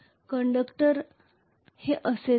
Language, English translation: Marathi, So conductors here as well